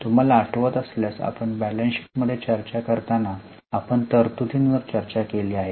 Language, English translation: Marathi, If you remember, we have discussed provisions when we discuss the balance sheet